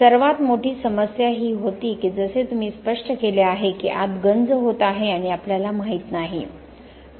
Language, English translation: Marathi, Biggest problem was that, as you explained is corrosion happening inside and we do not know